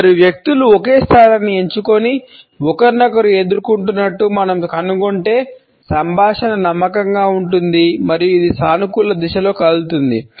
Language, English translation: Telugu, If we find two people opting for the same position and facing each other the dialogue is confident and yet it moves in a positive direction